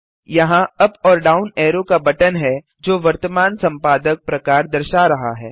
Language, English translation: Hindi, Here is a button with up and down arrow, displaying the current editor type